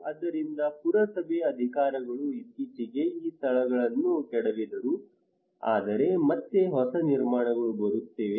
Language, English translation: Kannada, So municipal authority actually demolished these places recently, but again new constructions are coming